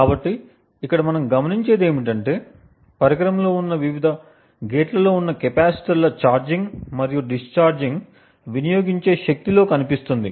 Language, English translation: Telugu, So, what we notice over here is that first the charging and the discharging of the capacitors which are present in the various gates present within the device shows up in the power consumed